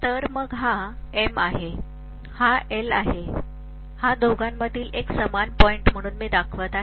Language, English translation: Marathi, So I am showing this as M, this as L and this is a common point